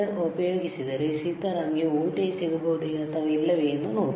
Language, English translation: Kannada, So, let us see whether Sitaram can get any voltage or not, all right let us see